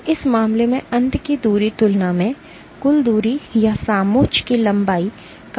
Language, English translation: Hindi, And in this case the total distance or the contour length is significantly higher compared to the end to end distance